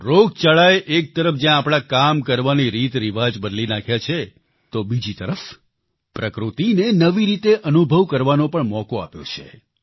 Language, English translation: Gujarati, Friends, the pandemic has on the one hand changed our ways of working; on the other it has provided us with an opportunity to experience nature in a new manner